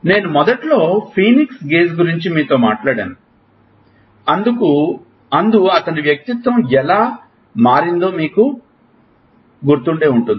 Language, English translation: Telugu, You remember, I talked to you about Phoenix Gage in the initially, how his personality changed